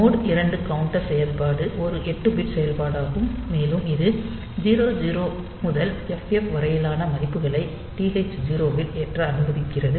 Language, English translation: Tamil, So, mode 2 counter operation is also an 8 bit operation, and it is it allows only values 0 0 to ff to be loaded into TH 0